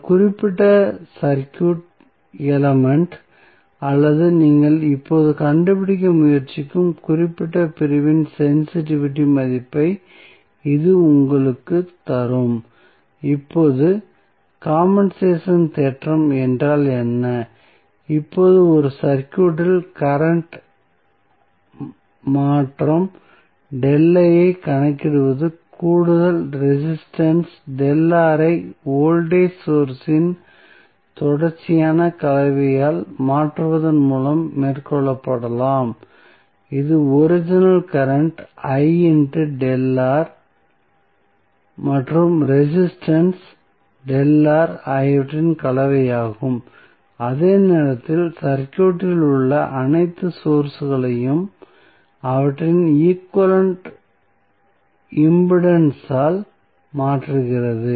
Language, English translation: Tamil, So, that will give you the value of sensitivity of that particular circuit element or the particular segment in which you are trying to find out now, particularly, what does compensation theorem means, now, the calculation of current change delta I in a circuit may be carried out by replacing the added resistance delta R by a series combination of voltage source that is a combination of original current I into delta R and resistance delta R while at the same time replacing all sources in the circuit by their equivalent impedances